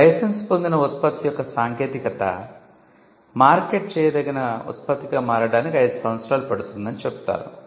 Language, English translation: Telugu, Now, it is said that it takes 5 years for a licensed product technology to become a marketable product